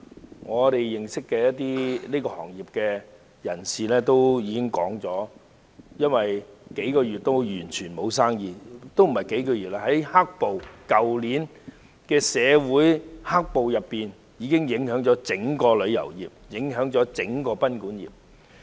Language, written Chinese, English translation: Cantonese, 據我們所認識的業內人士表示，他們已有數月完全沒有生意——也不只是數月，而是去年社會出現的"黑暴"事件，已影響整個旅遊業及賓館業。, According to the industry practitioners that we know they have not been doing any business for months―not just for months as the entire hotelguesthouse sector had been affected since the emergence of black - clad violence in society last year